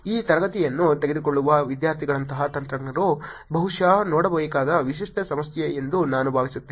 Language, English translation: Kannada, I think it is typical problem that technologists like students who are taking this class should probably look at